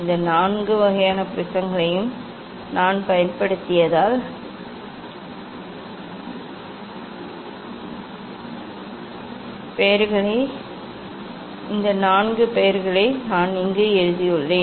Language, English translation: Tamil, these four names I have written here because I have used these four types of prism